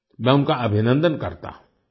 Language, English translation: Hindi, I congratulate him